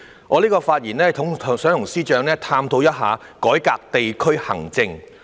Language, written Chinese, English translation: Cantonese, 我的發言旨在跟司長探討改革地區行政。, The aim of my speech is to discuss with the Chief Secretary how to reform district administration